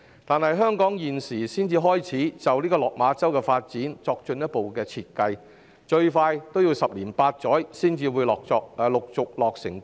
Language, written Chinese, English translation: Cantonese, 可是，香港現時才開始就落馬洲的發展作進一步設計，建設最快要十年八載才會陸續落成。, However Hong Kong has just begun to draw up further designs for the development of Lok Ma Chau and the gradual completion of which will at least take 8 to 10 years